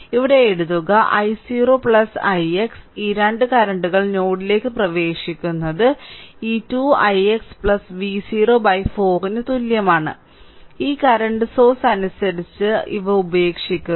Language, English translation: Malayalam, So, if I write here i 0 plus i x these two currents are entering into the node is equal to this 2 i x plus V 0 by 4, these are living as per this current source your first loss